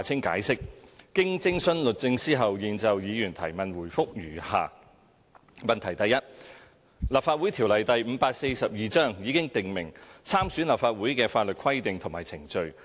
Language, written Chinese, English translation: Cantonese, 經徵詢律政司後，現就議員質詢答覆如下：一《立法會條例》已訂明參選立法會的法律規定和程序。, Having consulted the Department of Justice DoJ our reply to Members question is as follows 1 The Legislative Council Ordinance Cap . 542 already stipulates the legal regulations and procedures for standing as candidates for the Legislative Council election